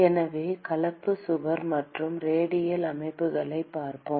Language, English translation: Tamil, So, let us look at composite wall and radial systems